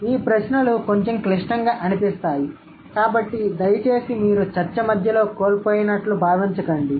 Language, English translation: Telugu, So, let's, this question sound a little complicated, so please don't feel that you are lost in the middle of the discussion